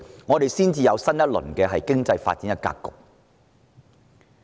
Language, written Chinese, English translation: Cantonese, 只有這樣，我們才能打開經濟發展新格局。, It is only by doing so that we can reshape the landscape of our economic development